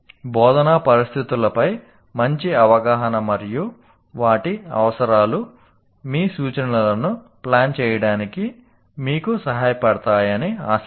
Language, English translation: Telugu, So, hopefully a better understanding of instructional situations and their requirements will help you to plan your instruction